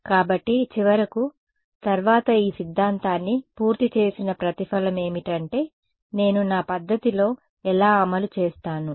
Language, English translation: Telugu, So, finally, after having done all of this theory the payoff is how do I actually implemented in my method